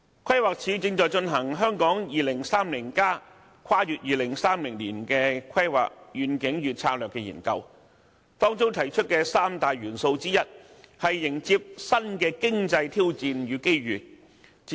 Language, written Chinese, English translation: Cantonese, 規劃署正進行《香港 2030+： 跨越2030年的規劃遠景與策略》研究，當中提出的其中一項三大元素，是迎接新的經濟挑戰和掌握這些機遇。, The Planning Department is conducting a study on Hong Kong 2030 Towards a Planning Vision and Strategy Transcending . Of the three building blocks proposed one of which is to embrace new economic challenges and opportunities